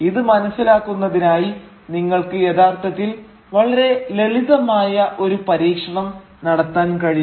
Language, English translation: Malayalam, And to understand this, you can actually perform a very simple experiment